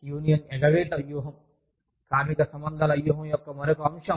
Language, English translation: Telugu, Union avoidance strategy is, another aspect of, labor relations strategy